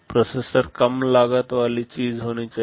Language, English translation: Hindi, The processor should be a low cost thing